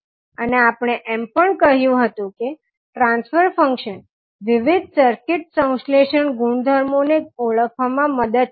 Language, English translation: Gujarati, And we also said that the transfer function will help in identifying the various circuit syntheses, properties